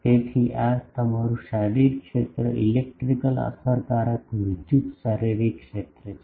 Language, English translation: Gujarati, So, this is your physical area electrical effective electrical physical area